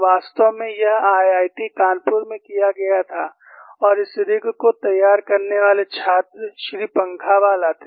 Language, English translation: Hindi, In fact, this was done at IIT Kanpur and the student who fabricated this rig was one Mr